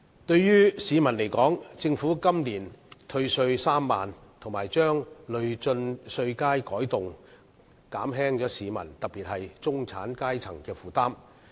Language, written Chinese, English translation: Cantonese, 對於市民而言，政府今年退稅3萬元，以及把累進稅階改動，這些措施均可減輕市民，特別是中產階層的負擔。, As for the public the Government has offered a tax rebate of 30,000 this year and revised the progressive tax bands and these measures may alleviate the burden of the public particularly the middle class